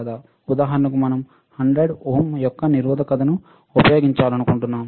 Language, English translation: Telugu, For example, if I say that we want to use a resistor of 100 ohm